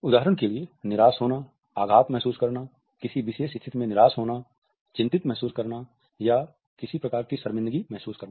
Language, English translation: Hindi, For example, of being frustrated, feeling hurt, being disappointed in certain situation, feeling worried or feeling some type of an embarrassment